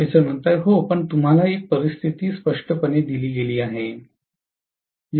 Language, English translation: Marathi, Yeah, but you are given a situation clearly